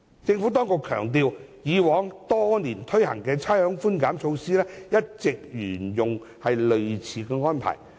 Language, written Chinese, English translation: Cantonese, 政府當局強調，以往多年推行的差餉寬減措施一直沿用類似安排。, The Government has stressed that similar arrangements have been in place for the rates concession measures introduced in the past years